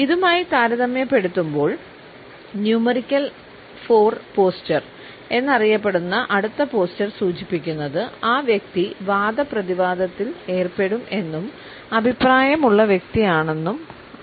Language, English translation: Malayalam, In comparison to that the next posture which is known as a numerical 4 posture suggests that the person is argumentative and opinionated